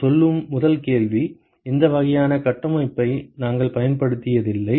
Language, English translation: Tamil, The first question I would say we have never used this kind of a configuration